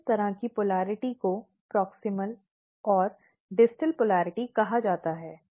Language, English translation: Hindi, So, this kind of polarity is called proximal and distal polarity